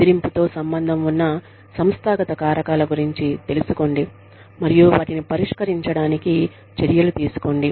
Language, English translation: Telugu, Be aware, of the organizational factors, that are associated with bullying, and take steps, to address them